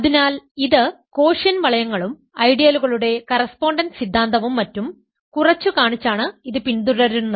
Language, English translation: Malayalam, So, this follows because of our understating of quotient rings and correspondence theorem of ideals and so on